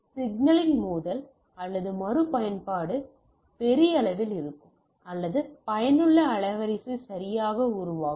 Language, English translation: Tamil, So, there will be huge amount of collision or retransmission of the signal or effective bandwidth will form right